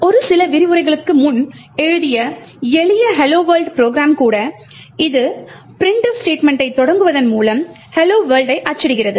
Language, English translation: Tamil, Even the simple hello world program that we have written a few lectures back which essentially just prints hello world by invoking the printf statement